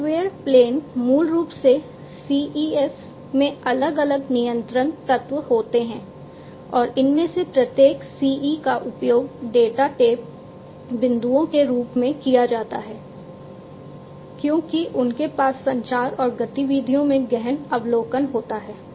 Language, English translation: Hindi, The software plane basically consists of different control elements in the CEs, and each of these CEs is used as the data tap points, since they have deep observation into the communication and activities